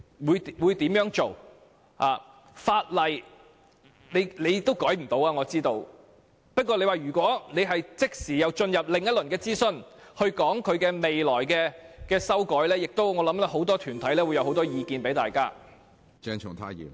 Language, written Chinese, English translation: Cantonese, 我知道政府未能修改法例，不過，如果即時進入另一輪諮詢，討論未來的修訂，我認為很多團體會提出多項意見。, I know that the Government cannot amend the law now but if we conduct another round of consultation and discuss future amendments I think many groups will present their views